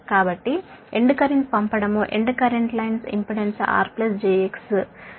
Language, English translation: Telugu, so sending in current is equal to receiving current line